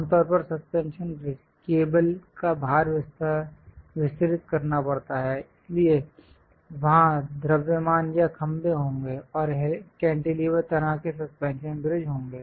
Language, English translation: Hindi, Usually, the suspension bridge, the cables load has to be distributed; so there will be mass or pillars, and there will be more like a cantilever kind of suspension bridges will be there